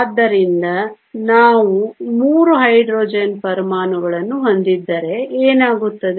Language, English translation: Kannada, So, this is what will happen if we have 3 Hydrogen atoms